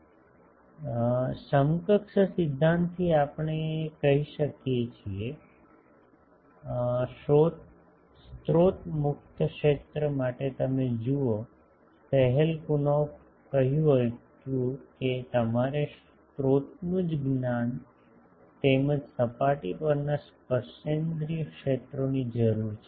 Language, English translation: Gujarati, So, from equivalence principle we can say; that for a source free region you see Schelkunoff said that you require the knowledge of sources as well as the tangential fields at the surface